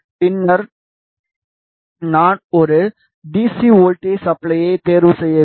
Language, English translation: Tamil, And then I have to choose a DC voltage supply